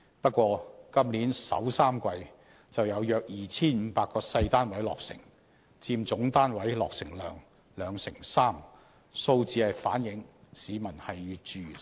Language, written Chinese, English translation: Cantonese, 不過，今年首3季就有約 2,500 個細單位落成，佔總單位落成量兩成三，數字反映市民越住越細。, But in the first three quarters of this year some 2 500 small flats will be completed accounting for 23 % of the overall housing production . It is clear from these figures that the living space of the public is getting smaller and smaller